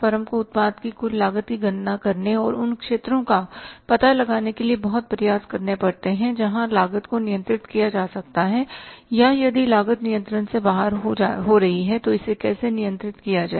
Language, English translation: Hindi, The firm has to make lot of efforts to calculate the total cost of the product and find out those areas where the cost can be controlled or if the cost is going out of control how to control it